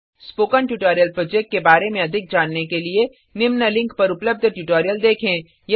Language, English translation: Hindi, To know more about the Spoken Tutorial project, watch the video available at the following link, It summarizes the project